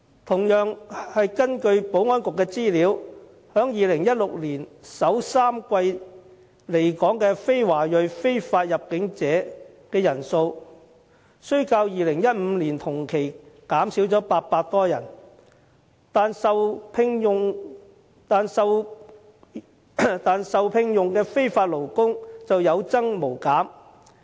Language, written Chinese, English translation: Cantonese, 同樣是根據保安局的資料 ，2016 年首3季來港的非華裔非法入境者人數雖然較2015年同期減少了800多人，但受聘用的非法勞工卻有增無減。, Also according to the information provided by the Security Bureau while the number of non - ethnic - Chinese illegal entrants in Hong Kong in the first three quarters of 2016 registered a drop of some 800 over the figure in the same period of 2015 illegal workers had kept increasing